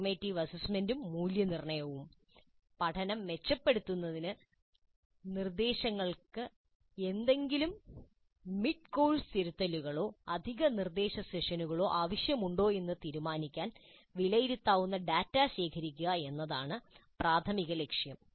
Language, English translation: Malayalam, Formative assessment and evaluation primary purpose is to gather data that can be evaluated to decide if any mid course correction to instruction or additional instructional sessions are required to improve the learning